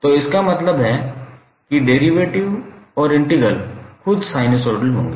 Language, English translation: Hindi, So, it means that the derivative and integral would itself would be sinusoids